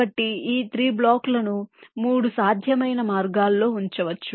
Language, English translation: Telugu, so these three blocks can be placed in three possible ways